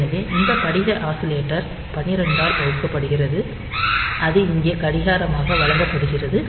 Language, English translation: Tamil, So, this this crystal oscillator is divided by 12 and that is fed as clock here